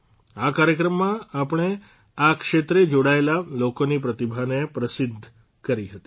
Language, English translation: Gujarati, In that program, we had acknowledged the talent of the people associated with this field